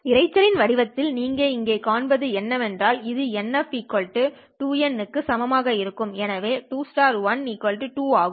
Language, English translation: Tamil, And what you see here in the noise figure is that this would be then equal to 2 times, right, nsp is equal to 1, so it is 2 into 1, which is equal to 2